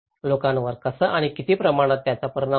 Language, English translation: Marathi, How and what extent it affects people